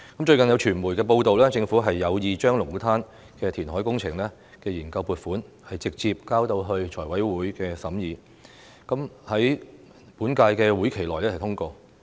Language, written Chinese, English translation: Cantonese, 最近，有傳媒報道，政府有意將龍鼓灘的填海工程研究撥款，直接交到財務委員會審議，在本屆會期內通過。, It has recently been reported by the media that the Government intends to directly submit the funding proposal for the engineering study for Lung Kwu Tan reclamation to the Finance Committee for scrutiny in order to have it passed in this current session